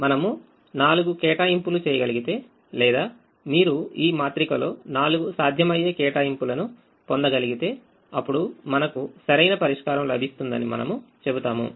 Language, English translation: Telugu, so if we are able to make an allocation four, if you are able to get four feasible allocations in this matrix, then we would say that we have got the optimum solution for this particular example